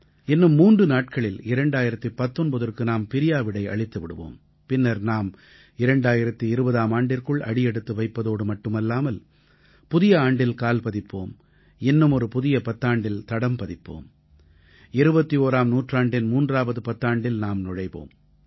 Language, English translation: Tamil, In a matter of just 3 days, not only will 2019 wave good bye to us; we shall usher our selves into a new year and a new decade; the third decade of the 21st century